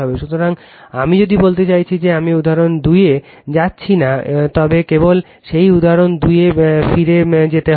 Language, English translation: Bengali, So, if you I mean I am not going to the example 2, but we will just go to that go back to that example 2